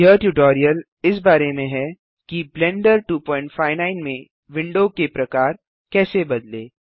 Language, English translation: Hindi, This tutorial is about How To Change Window Types in Blender 2.59